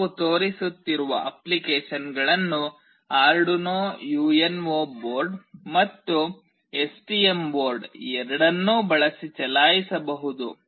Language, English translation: Kannada, The applications that we will be showing can be run using both Arduino UNO board as well as STM board